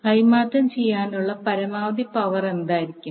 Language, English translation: Malayalam, So, now what would be the maximum power to be transferred